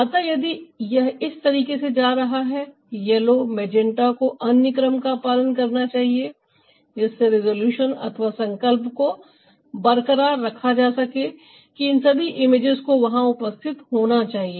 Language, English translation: Hindi, so if it's going this way, the yellow, the magenta, should follow another order to maintain the resolution that all this images should be present there